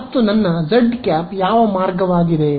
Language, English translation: Kannada, And which way is my z hat